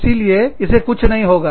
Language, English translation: Hindi, So, nothing will happen to it